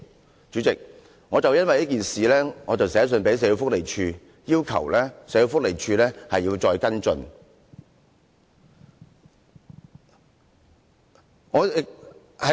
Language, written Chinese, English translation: Cantonese, 代理主席，我因為這件事致函社會福利署，要求社會福利署再作跟進。, Deputy President I wrote to SWD on this case requesting SWD to follow up the case again